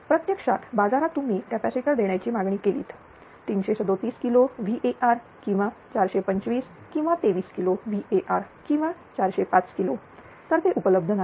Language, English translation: Marathi, Actually in market if you ask for a give your capacitor of 337 kilowatt or 425 twenty 3 kilowatt or 405 kilowatt, it is not available